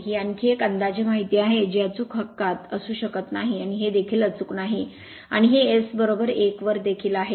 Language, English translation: Marathi, This is another approximations also it may not be a in a accurate right and this this it is also not accurate and this one also at S is equal to 1 right